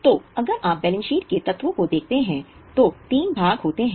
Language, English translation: Hindi, So, if you look at the elements of balance sheet, there are three parts